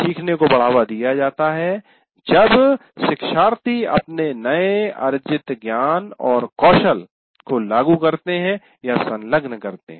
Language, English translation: Hindi, Then learning is promoted when learners apply or engage with their newly required, acquired knowledge and skill